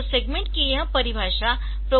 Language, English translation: Hindi, So, this definition of segment is with respect to I should say the programmer